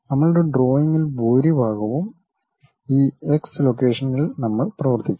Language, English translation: Malayalam, Most of our drawing we work in this X location